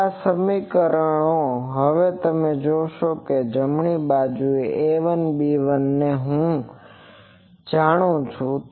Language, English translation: Gujarati, Now, these equations now you see the right hand side is fully known A 1 B 1 I know